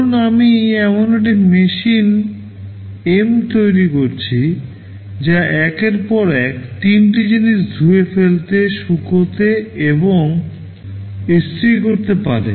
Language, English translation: Bengali, Suppose I have built a machine M that can do three things one by one, wash, dry and iron